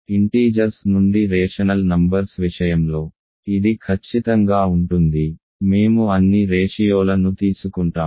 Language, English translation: Telugu, This is simply exactly as in the case of rational numbers from integers; we take all ratios